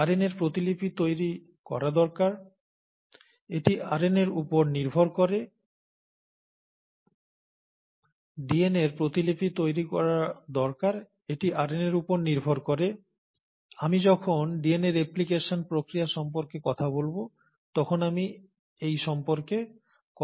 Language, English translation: Bengali, The DNA needs to replicate, it does depend on RNA, and I’ll talk about this, when we talk about the process of DNA replication